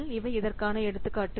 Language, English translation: Tamil, They are examples of these models